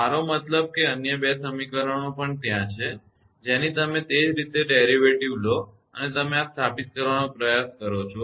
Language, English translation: Gujarati, Other 2 equations are there similar way you take the derivative and put it right